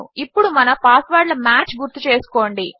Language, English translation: Telugu, now remember our passwords match..